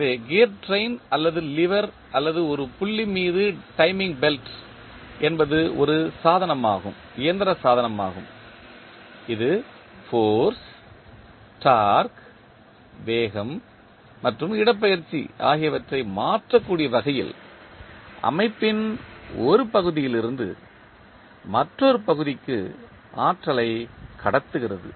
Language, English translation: Tamil, So, gear train or lever or the timing belt over a pulley is a mechanical device that transmits energy from one part of the system to another in such a way that force, torque, speed and displacement may be altered